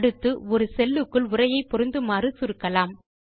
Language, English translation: Tamil, Next we will learn how to shrink text to fit into the cell